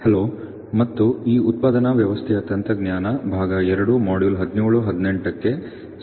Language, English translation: Kannada, Hello and welcome to this Manufacturing System Technology part two modules 17 and 18